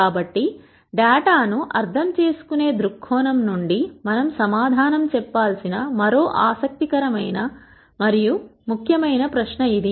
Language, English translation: Telugu, So, that is also another interesting and important question that we need to answer from the viewpoint of understanding data